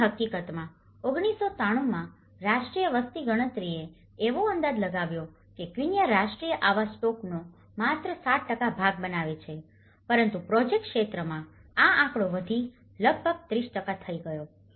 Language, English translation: Gujarati, And in fact, in 1993, the national census estimated that the quincha formed just 7% of the national housing stock but within the project area, this figure rose to nearly 30%